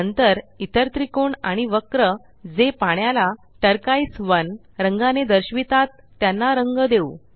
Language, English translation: Marathi, Next, lets color the other triangle and curve that represent water with the colour turquoise 1